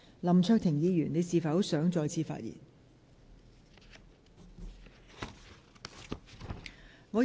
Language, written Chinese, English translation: Cantonese, 林卓廷議員，你是否想再次發言？, Mr LAM Cheuk - ting do you wish to speak again?